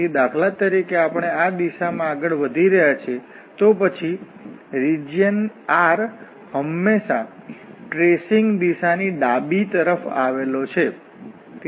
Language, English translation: Gujarati, That means, when we traversed on this curve, so, for instance we are traversing in this direction, then the region R always lies left to the tracing direction